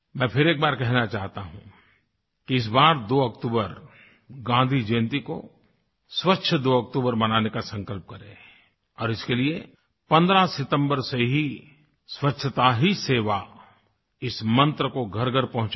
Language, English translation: Hindi, I would like to reiterate, let's resolve to celebrate, 2nd October Gandhi Jayanti this year as Swachch Do Aktoobar, Clean 2nd October